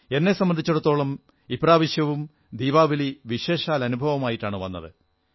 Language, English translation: Malayalam, To me, Diwali brought a special experience